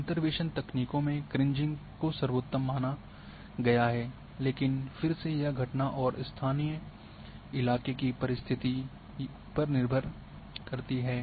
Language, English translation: Hindi, So, Kriging is found to be one of the best interpolation techniques, but again it depends on the phenomena and local or local conditions terrain conditions